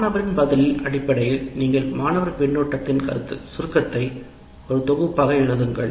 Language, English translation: Tamil, And based on the student's response, you write a summary of the student feedback as a set of statements